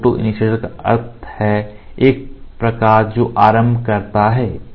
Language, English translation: Hindi, So, photoinitiator means a light which initiates